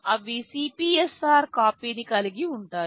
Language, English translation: Telugu, They will hold a copy of the CPSR